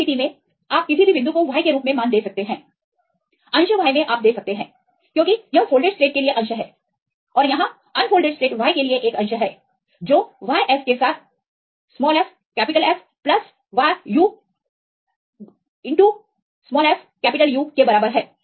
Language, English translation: Hindi, In this case, you can give the value as any point y in the fraction y you can give as this is the fraction for the folded state and here is a fraction for the unfolded state y equal to y f into fF plus yu into fU